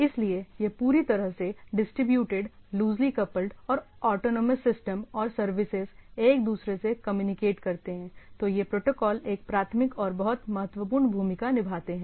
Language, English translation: Hindi, So, this so, whole any this sort of distributed, loosely coupled and autonomous systems or autonomous systems and services when they communicate, this protocols played a primary, a very important role